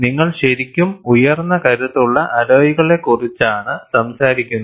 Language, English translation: Malayalam, So, if you look at, we are really talking of very high strength alloys